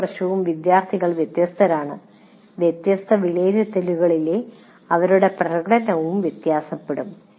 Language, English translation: Malayalam, First thing is students are different every year and their performance in different assessment will also differ